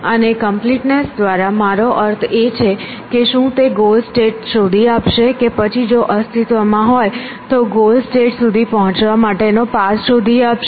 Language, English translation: Gujarati, And by completeness you mean will it find the goal state or will it find a path to the goal state if one exists